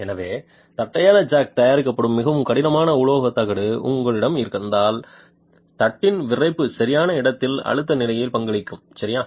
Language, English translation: Tamil, So if you have a very stiff metal plate with which the flat jack is made the stiffness of the plate will contribute to the insidue stress level